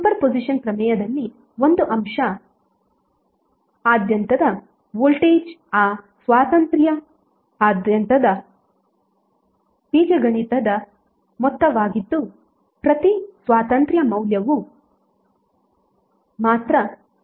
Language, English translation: Kannada, In super position theorem the voltage across an element is the algebraic sum of voltage across that element due to each independence source acting alone